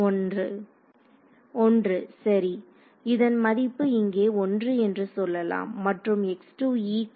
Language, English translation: Tamil, So, its value is let us say 1 over here and at x 2 e